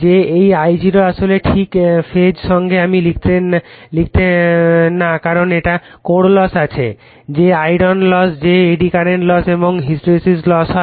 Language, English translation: Bengali, That you are this I0 actually not exactly in phase in phase with I write because it has some core loss that is iron loss that is eddy current and hysteresis loss